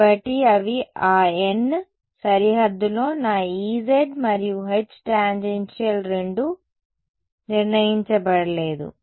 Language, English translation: Telugu, So, those are those n, on the boundary I have my H z and E tan both are undetermined